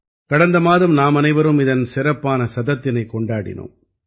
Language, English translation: Tamil, Last month all of us have celebrated the special century